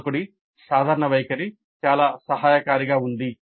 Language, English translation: Telugu, The general attitude of the instructor was quite supportive